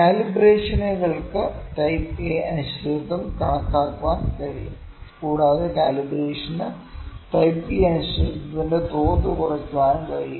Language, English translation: Malayalam, Calibrations can a better calibration can quantify type A uncertainty, and calibration can reduce the level of type B uncertainty as well